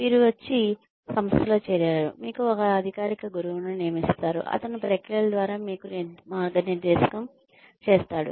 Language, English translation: Telugu, You come, you join the organization, you are assigned a formal mentor, who guides you through the processes